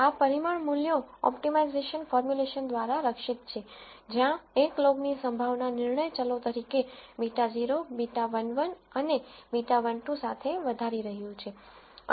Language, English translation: Gujarati, These parameters values are guard through the optimization formulation, where 1 is maximizing log likelihood with beta naught beta 1 1 and beta 1 2 as decision variables